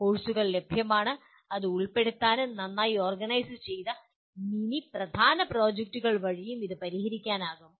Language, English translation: Malayalam, There are courses available and it can be included and it can also be addressed through well orchestrated mini and main projects